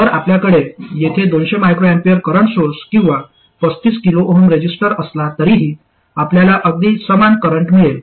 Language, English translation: Marathi, So whether you had a 200 microampure current source here or a 35 kilo oom resistor, you will get exactly the same current